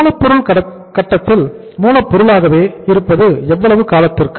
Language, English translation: Tamil, Raw material remains in the raw material stage is for how period of time